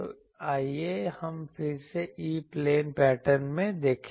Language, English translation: Hindi, So, let us see in the E plane pattern again